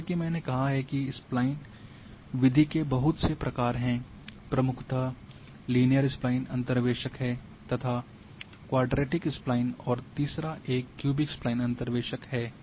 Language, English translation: Hindi, As I have said that there are variant variant of Spline method two; major one is the linear Spline interpolators and quadratic at Spline and then third one is the cubic Spline interpolators